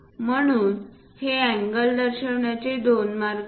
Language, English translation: Marathi, So, there are two ways to show these angles